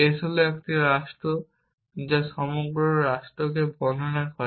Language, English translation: Bengali, s is a state which describes the whole state